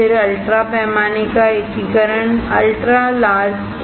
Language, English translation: Hindi, Then there is the ultra large scale more